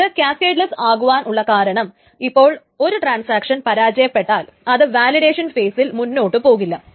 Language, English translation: Malayalam, The reason why this is cascadless is that if a transaction fails, essentially it will not pass the validation phase